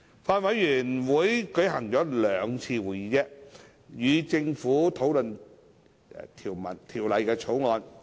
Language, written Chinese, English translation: Cantonese, 法案委員會舉行了兩次會議，與政府討論《條例草案》。, The Bills Committee has held two meetings to discuss the Bill with the Government